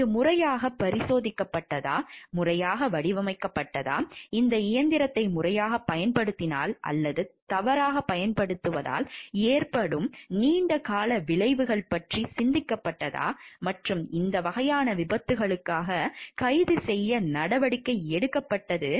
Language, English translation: Tamil, Whether it has been tested properly, whether it has been designed properly, and whether the long term consequences of the proper use or misuse of the this machine was thought of; and proactive measures were taken to arrest for these type of accidents and harms were taken or not becomes a point of focus in this type of case